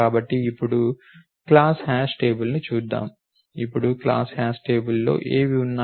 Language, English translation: Telugu, So, let us look at a class hash table now, what are the class hash table contain now